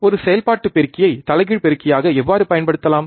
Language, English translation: Tamil, How can we use an operational amplifier as an inverting amplifier